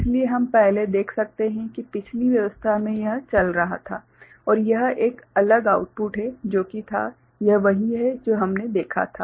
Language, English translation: Hindi, So, we can see earlier in the previous arrangement this was going out and this is a separate output that was there right, this is what we had seen